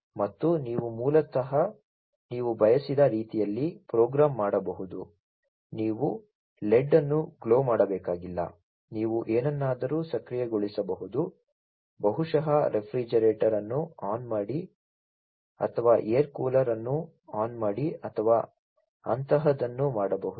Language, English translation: Kannada, And you could basically program the way you would like, you know you do not have to glow an led you could actuate something you know maybe turn on the refrigerator or turn on the air cooler or something like that